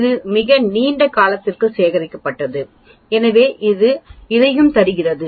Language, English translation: Tamil, It is collected over a very long period of time so it gives you this and this